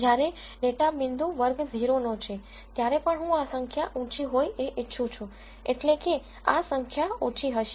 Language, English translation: Gujarati, When a data point belongs to class 0, I still want this number to be high, that means, this number will be small